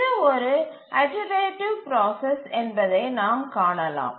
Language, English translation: Tamil, So, as you can see that this is a iterative process